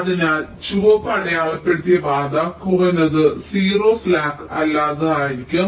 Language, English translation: Malayalam, so the path marked red, that will be the minimum non zero slack